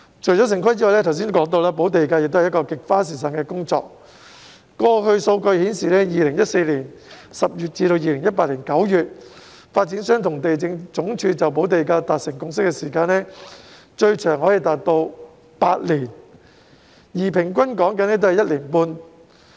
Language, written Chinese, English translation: Cantonese, 除了城市規劃外，我剛才提到補地價也是一項極花時間的工作，過去的數據顯示 ，2014 年10月至2018年9月，發展商和地政總署就補地價達成共識的時間，最長可以達到8年，而平均也需時1年半。, Apart from town planning I just mentioned that the payment of land premium is another very time - consuming task . According to the past data from October 2014 to September 2018 the time required by the developers and the Lands Department in reaching a consensus over land premium could be as long as eight years with an average of 1.5 years